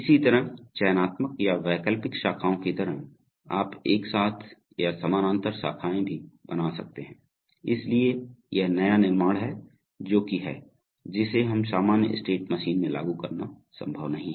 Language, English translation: Hindi, Similarly, just like selective or alternative branches, you can also have simultaneous or parallel branches, so this is the new construct which is, which we which is not possible to implement in a normal state machine